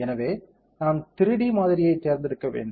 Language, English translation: Tamil, So, we have to select the 3D model